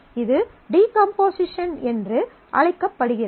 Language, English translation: Tamil, This is called decomposition